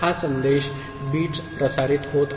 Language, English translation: Marathi, This message bits are getting transmitted